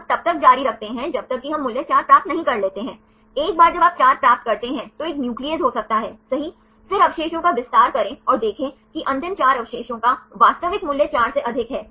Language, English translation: Hindi, We continue till we get the value 4, once you get the 4 there could be a nuclease right then extend the residues and see the last 4 residues have the actual value of more than 4